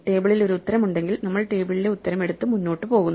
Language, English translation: Malayalam, If the table has an answer, we take the table's answer and go ahead